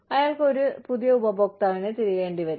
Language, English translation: Malayalam, He will have to search, for a new customer